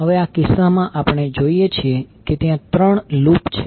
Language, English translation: Gujarati, Now, in this case, we see there are three loops